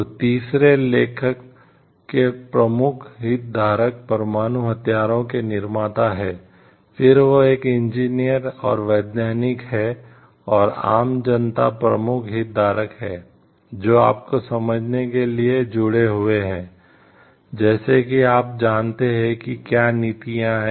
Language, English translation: Hindi, So, third is of the author important stakeholder is the nuclear weapon manufacturer, then it is a engineers and scientists and, common public these are the main stakeholders, who are connected to understanding the you know like, what are the policies and practices with respect to like